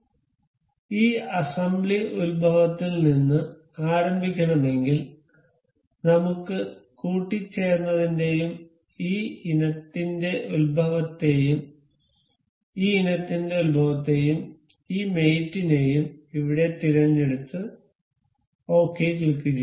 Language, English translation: Malayalam, So, if we want this assembly to start with origin, we can select mate, the origin of this item and the origin of this item and this mates here, and click ok